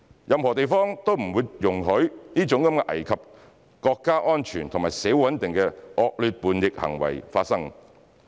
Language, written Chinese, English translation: Cantonese, 任何地方都不會容許這種危及國家安全和社會穩定的惡劣叛逆行為發生。, Nowhere in the world will such atrocious and rebellious behaviour that endanger national security and social stability be allowed